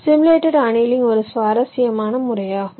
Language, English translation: Tamil, ok, simulated annealing is an interesting method